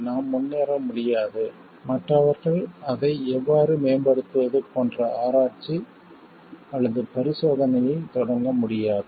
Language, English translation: Tamil, We cannot progress and others cannot start the research or experimentation like how to improve on that